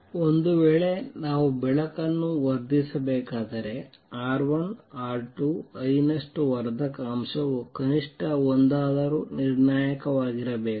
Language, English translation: Kannada, If the light is to we amplify it then R 1, R 2, I times the amplification factor must be at least one that is the critical